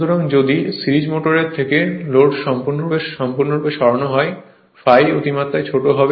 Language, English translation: Bengali, So, if the load is removed from the series motor completely